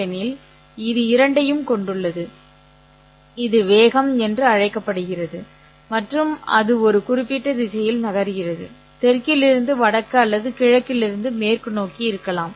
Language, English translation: Tamil, In this case the magnitude is called as the speed and it is moving along a certain direction maybe from south to north or from east to west